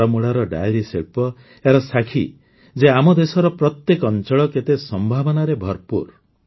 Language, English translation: Odia, The dairy industry of Baramulla is a testimony to the fact that every part of our country is full of possibilities